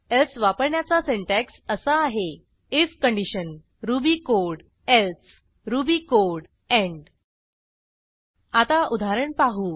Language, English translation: Marathi, The syntax for using elsif is: if condition ruby code elsif condition ruby code else ruby code end Let us look at an example